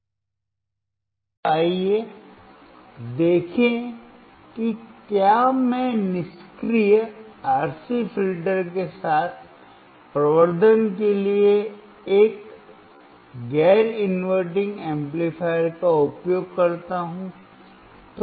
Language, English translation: Hindi, Now, let us see if I use, a non inverting amplifier for the amplification along with the passive RC filter